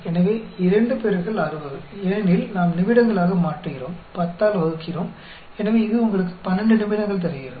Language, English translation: Tamil, So, 2 into 60, because we are converting into minutes, divided by 10; so, that gives you 12 minutes